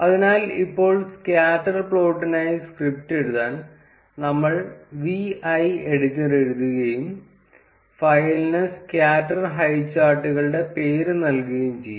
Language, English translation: Malayalam, So, now, to write the script for the scatter plot, we will write vi editor and let us name the file to be scatter highcharts